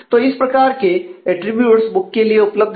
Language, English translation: Hindi, So, these are the attributes available for books